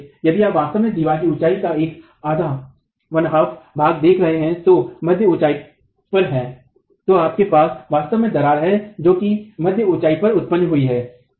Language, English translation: Hindi, So if you really look at the wall, you're looking at one half of the height of the wall and at mid height, you actually have the cracking that has occurred at the mid height